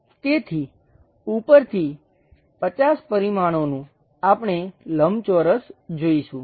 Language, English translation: Gujarati, So, from top view 50 dimensions, we will see a rectangle